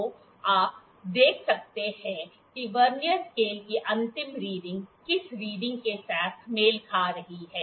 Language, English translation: Hindi, Let us see which Vernier scale reading is coinciding